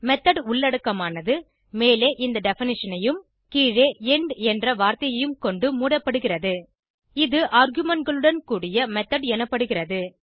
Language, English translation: Tamil, The method body is enclosed by this definition on the top and the word end on the bottom This is called as method with arguments